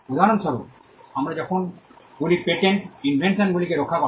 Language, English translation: Bengali, For instance, when we say patents protect inventions